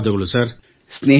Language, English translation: Kannada, Thank you, Thank You Sir